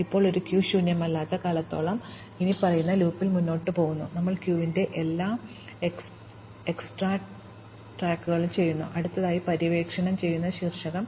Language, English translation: Malayalam, Now, so long as the queue is not empty, we proceed in the following loop, we extract the head of the queue, the vertex to be explored next